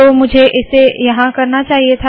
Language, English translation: Hindi, So I should have done this here